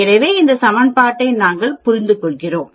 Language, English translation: Tamil, So, we use this equation, understood